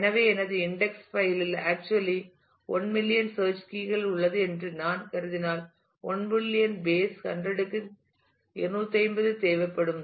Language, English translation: Tamil, So, if I assume that my index file has actually 1 million search key values to look for, then I will need 1 million to the base 100 by 250